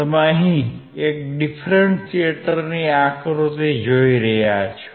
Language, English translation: Gujarati, You see the figure of an differentiator